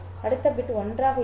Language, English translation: Tamil, The next bit will be 1